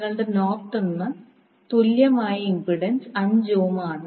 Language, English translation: Malayalam, Your Norton’s equivalent impedance is 5 ohm